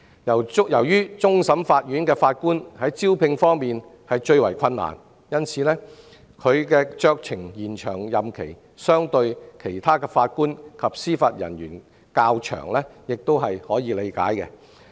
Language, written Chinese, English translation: Cantonese, 由於終審法院法官最難招聘，其可酌情延長的任期相對其他法官及司法人員較長亦可理解。, On the other hand CFA Judges who are the hardest to recruit can have a longer discretionary extension than other JJOs and that is understandable